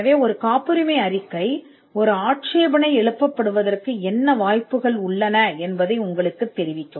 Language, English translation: Tamil, So, a patentability report would let you know what are the chances of an objection that could come